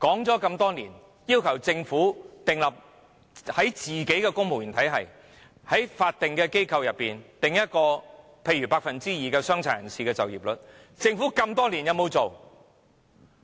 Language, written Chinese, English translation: Cantonese, 我們多年來一直要求政府為公務員體系和法定機構訂定某個百分比的傷殘人士就業率，政府有否實行？, Over the years we have been demanding that the Government require the employment rate of PWDs in the civil service and statutory bodies to reach a certain percentage for example 2 % . Has the Government done so?